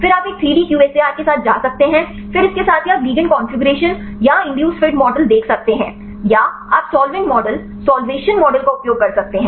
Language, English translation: Hindi, Then you can go with a 3D QSAR then along with that you can see the ligand configuration or the induced fit models or you can use solvent models solvation models